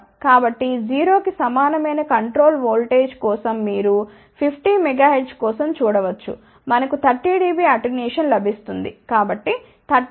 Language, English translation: Telugu, So, you can see for 50 megahertz for control voltage equal to 0, we get about 30 dB attenuation so, 30 plus 3